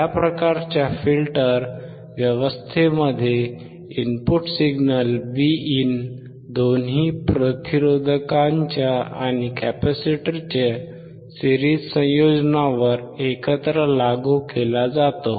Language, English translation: Marathi, In this type of filter arrangement, the input signal Vin input signal is applied to the series combination of both resistors and capacitors together